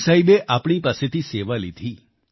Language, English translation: Gujarati, Guru Sahib awarded us the opportunity to serve